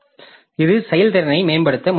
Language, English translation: Tamil, So, this is trying to improve the throughput